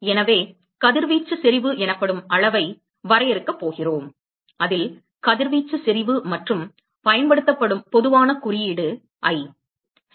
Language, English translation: Tamil, So, we are going to define a quantity called radiation intensity which the radiation intensity and the typical symbol that is used is ‘I’ ok